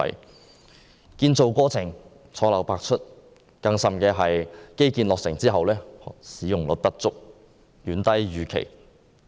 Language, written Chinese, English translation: Cantonese, 基建項目建造過程錯漏百出，更甚的是項目落成後使用率不足，遠低於預期。, Apart from the blunders and omissions during the construction process another serious problem of these infrastructure projects is that the utilization rates are far lower than expected